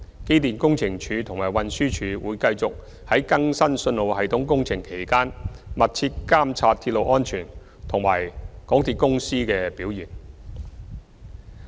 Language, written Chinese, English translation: Cantonese, 機電工程署及運輸署會繼續在更新信號系統工程期間密切監察鐵路安全及港鐵公司的表現。, EMSD and TD will continue to closely monitor railway safety and MTRCLs performance during the updating of the signalling systems